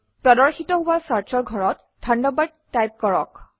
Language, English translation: Assamese, In the Search field, that appears, type Thunderbird